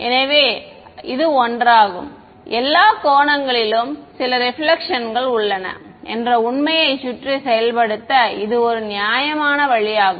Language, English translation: Tamil, So, this is one; this is one reasonable way of implementing getting around the fact that all angles have some reflection